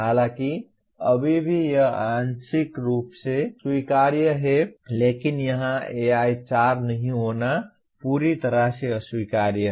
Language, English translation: Hindi, While still that is partly acceptable but not having any AI4 here is totally unacceptable